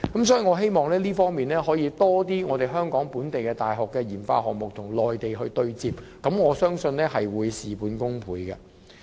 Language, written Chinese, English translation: Cantonese, 所以，我希望可以有更多香港本地大學的研發項目與內地對接，我相信這會事半功倍。, Therefore I hope that more RD projects of the local universities in Hong Kong will be linked with the Mainland and I believe this will achieve twice the result with only half the effort